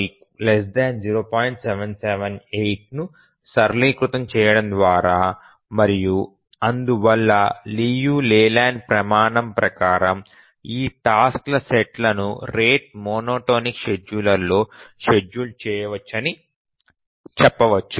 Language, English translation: Telugu, 778 and therefore by the Leland criterion we can say that this task set can be feasibly scheduled in the rate monotonic scheduler